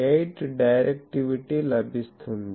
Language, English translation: Telugu, 8 is the directivity